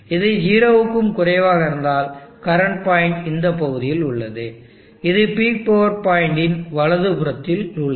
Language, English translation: Tamil, So if this parameter is greater than 0, then the current operating point is left to the left of the peak power point